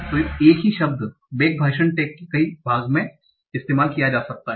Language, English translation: Hindi, So the same word back can be used in multiple part of speech tags